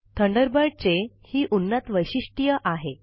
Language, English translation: Marathi, Thunderbird also has some advanced features